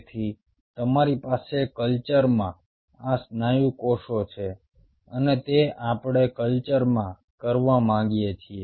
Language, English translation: Gujarati, so you have these muscle cells in a culture, and that do we want to do in a culture